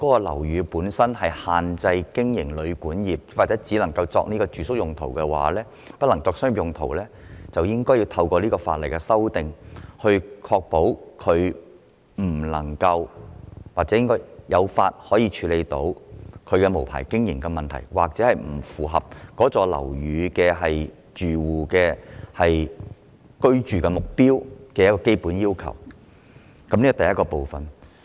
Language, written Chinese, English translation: Cantonese, 例如，針對限制經營旅館或只能作住宿而不能作商業用途的樓宇，這次修例便可以確保有法律依據，處理無牌經營問題，以及該大廈不符合只能作為住宿用途的基本要求的情況。, For instance targeting at those buildings that are subject to the restrictions on guesthouse operation or those that can only be used for residential rather than commercial purpose the amendment exercise this time around can ensure a legal basis for dealing with the problem of unlicensed operation and also their non - compliance with the basic requirement on their sole use for residential purpose